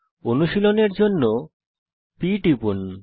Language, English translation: Bengali, Press p to start practicing